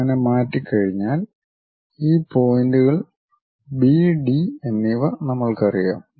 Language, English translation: Malayalam, Once we transfer that we know these points B and D